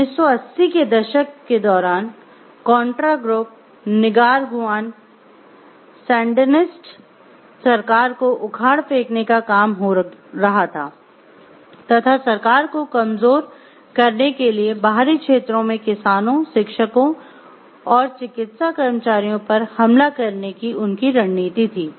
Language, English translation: Hindi, During the 1980’s the contras were working to overthrow the Nicaraguan Sandinista government their strategy was to attack farmers, teachers and medical workers in outlying areas to weaken the government